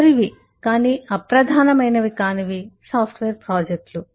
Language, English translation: Telugu, last but not the least is eh software projects